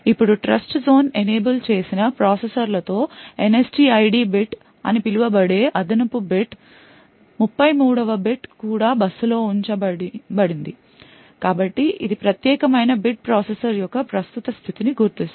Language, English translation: Telugu, Now with Trustzone enabled processors an additional bit known as the NSTID bit the, 33rd bit put the also put out on the bus so this particular bit would identify the current state of the processor